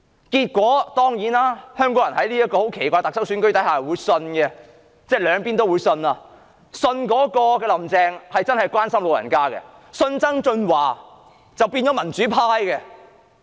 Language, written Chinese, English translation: Cantonese, 結果，香港人在這個奇怪的特首選舉下，竟然兩邊也相信，他們相信"林鄭"真的會關心長者，也相信曾俊華會變成民主派。, As a result in this weird election of the Chief Executive the people of Hong Kong believed both of them . They believed that Carrie Law really cares about the elderly and that John TSANG had switched to the pro - democracy camp